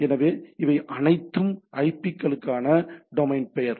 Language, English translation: Tamil, So, that is these are all domain name to IP